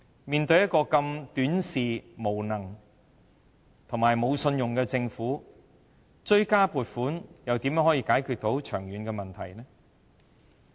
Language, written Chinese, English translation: Cantonese, 面對如此短視、無能、無信用的政府，追加撥款又如何能解決長遠問題？, Given such a short - sighted incompetent and untrustworthy Government how can the supplementary provisions resolve the long - term problems?